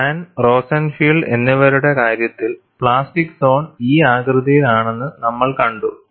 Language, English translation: Malayalam, You know, in the case of Hahn and Rosenfield, we have seen the plastic zone in this shape